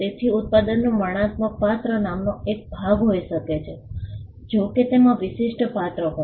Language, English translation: Gujarati, So, the descriptive character of the product can be a part of the name provided it has a distinctive character